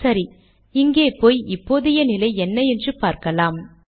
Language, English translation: Tamil, Lets just go here and see what the current status is